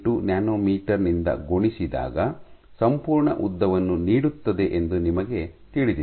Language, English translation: Kannada, 38 nanometers should give you the entire length